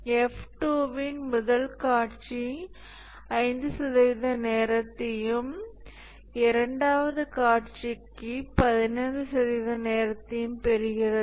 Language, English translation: Tamil, The first scenario of F2 gets executed 5% of time and the second scenario gets 15% of time